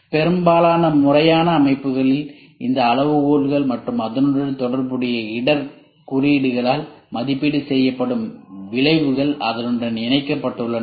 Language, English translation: Tamil, In most formal systems the consequences that are evaluated by this criteria and associated risk indexes are attached to it